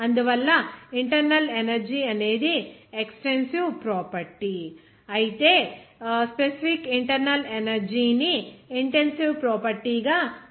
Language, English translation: Telugu, So, that is why internal energy is an extensive property, whereas specific internal energy will be called as an intensive property